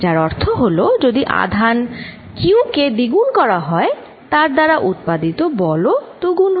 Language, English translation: Bengali, What it also means is, if charge Q1 is doubled force due to Q1 also gets doubled